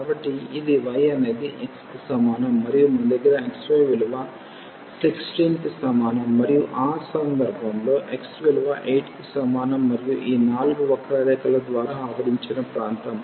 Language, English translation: Telugu, So, this is y is equal to x and we have x y is equal to 16 and we have in this case x is equal to 8 and the region enclosed by these 4 curves